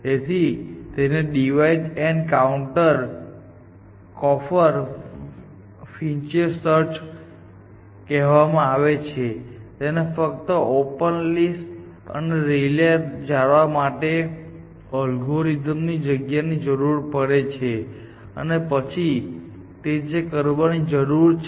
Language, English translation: Gujarati, So, that is why this name divides and conquer frontier search, so this space requirement of the algorithm is only to maintain the open list or the frontier and a relay layer essentially and that is all it needs to do essentially